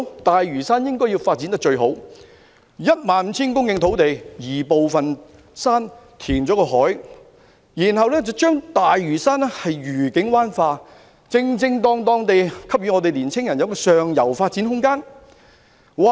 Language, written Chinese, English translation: Cantonese, 大嶼山應該要有最好的發展，在 15,000 公頃土地上，局部進行移山，另加填海，然後把大嶼山"愉景灣化"，恰當地給予年青人上游發展空間。, Lantau deserves the best development . On part of the 15 000 hectares of land some hills should be removed coupled with reclamation . Then Lantau should develop in the mode of Discovery Bay thereby properly providing young people with room for upward mobility